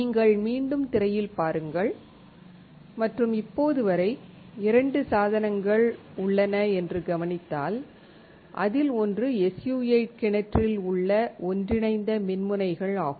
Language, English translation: Tamil, If you come back on the screen and if you focus the thing that until now we have that there are 2 devices; one is an inter digitated electrodes in an SU 8 well